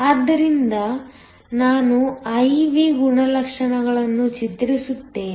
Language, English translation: Kannada, So, let me draw the I V characteristics